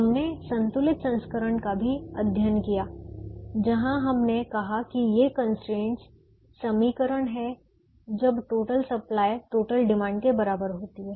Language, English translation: Hindi, we also studied the balanced version where we said that these constraints are equations when the total supply is equal to the total demand